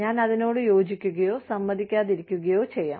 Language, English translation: Malayalam, I may or may not agree, with it